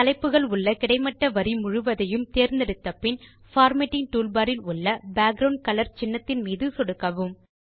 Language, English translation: Tamil, After selecting the entire horizontal row containing the headings, click on the Borders icon on the Formatting toolbar